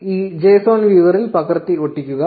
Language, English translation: Malayalam, Copy and paste it in this json viewer